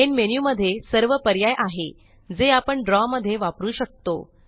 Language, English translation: Marathi, The Main menu lists all the options that we can use in Draw